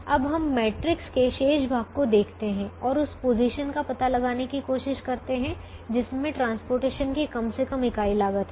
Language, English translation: Hindi, now we look at the remaining portion of this matrix and try to find out that position which has the least unit cost of transportation